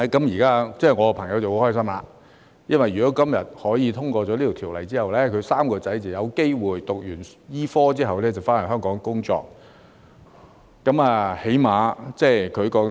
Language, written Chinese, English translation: Cantonese, 現在我的朋友很開心，因為如果今天這項條例獲得通過，他的3名兒子便有機會在醫科畢業後返回香港工作。, Now my friend is very happy because upon the passage of this legislation today his three sons will have the opportunity to work in Hong Kong after graduation in medicine